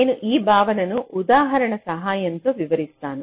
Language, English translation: Telugu, i am explaining with an example